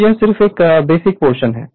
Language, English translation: Hindi, So, it is just a basic portion right